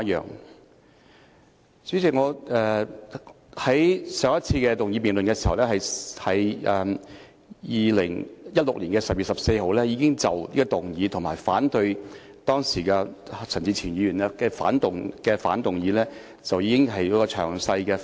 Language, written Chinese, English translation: Cantonese, 代理主席，我在上一次動議辯論議案時，即2016年12月14日，已經就這項議案，以及當時陳志全議員提出的相反議案作詳細發言。, Deputy President during the previous motion debate proposed by me on 14 December 2016 I already gave a detailed speech on the motion and an opposition motion proposed by Mr CHAN Chi - chuen